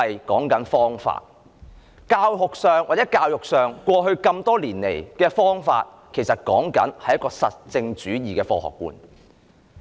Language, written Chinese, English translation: Cantonese, 無論在教學上或教育上，過去多年奉行的方法，其實是實證主義的科學觀。, Whether it be in pedagogy or education the method which has been upheld for years is indeed the scientific outlook on positivism